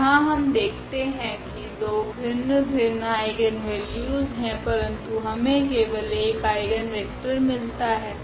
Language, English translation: Hindi, So, here we have seen there were two different eigenvalues, but we get only one eigenvector